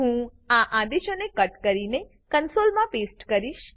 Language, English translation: Gujarati, I will cut this set of commands and paste in the console